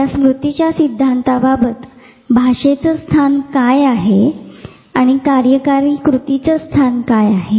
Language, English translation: Marathi, So, with this memory theory where does the language stand and where does executive function stand